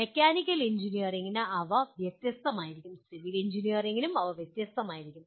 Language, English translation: Malayalam, They will be different for mechanical engineering, they will be different for civil engineering and so on